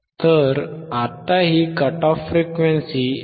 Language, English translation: Marathi, So, still the cut off frequency is 159